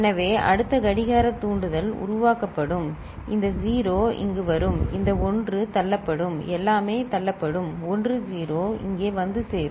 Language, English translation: Tamil, So, next clock trigger so, this 0 that is generated will come over here this 1 will get pushed right everything will get pushed so, 1 0 is coming over here ok